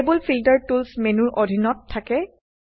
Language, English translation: Assamese, Now, Table Filter is available under the Tools menu